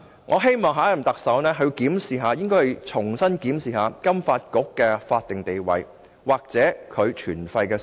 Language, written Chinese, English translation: Cantonese, 我希望下任特首能重新檢視金發局的法定地位或其存廢的需要。, I hope the next Chief Executive can re - examine the statutory status of FSDC or the need for its retention